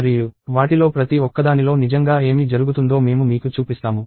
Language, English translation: Telugu, And I will show you what really happens in each one of them